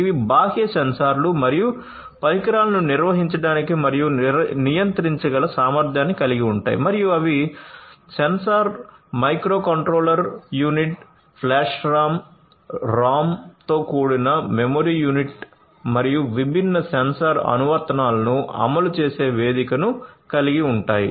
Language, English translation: Telugu, They are capable of managing and controlling external sensors and devices and they would comprise of a sensor, a microcontroller unit, a memory unit comprising of flash RAM, ROM and a platform for running different sensor applications